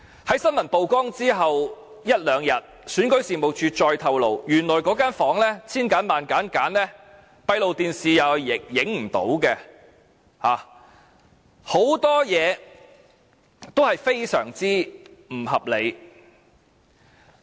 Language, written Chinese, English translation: Cantonese, 在新聞曝光之後一兩天，選舉事務處再透露，原來千挑萬選之後，那間房正好是閉路電視拍攝不到的，很多事情也非常不合理。, One or two days after the revelation of the incident REO disclosed further that the room concerned which should have been carefully selected was in fact outside the surveillance of the closed - circuit television system . So you see there were so many things that did not make any sense at all